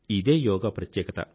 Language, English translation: Telugu, Yoga for Young India